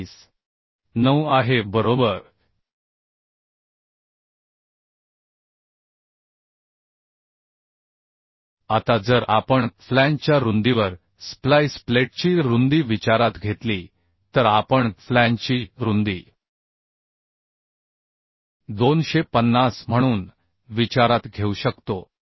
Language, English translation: Marathi, Now if we uhh consider the width of the splice plate at the flange width then we can consider flange width as the 250 right